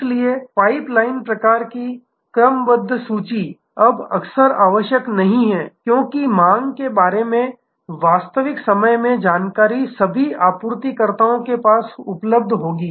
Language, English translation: Hindi, So, the pipe line sort of inventory, now if often not required, because real time information about demand will be available to all the suppliers